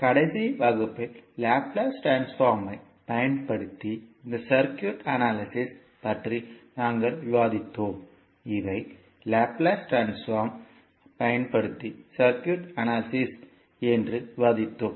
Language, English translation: Tamil, So, in the last class we were discussing about this circuit analysis using laplace transform and we discussed that these are circuit analysis using laplace transforming involves